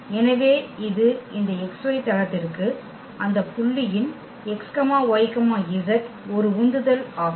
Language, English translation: Tamil, So, it is a projection of of that point x y z to this x y plain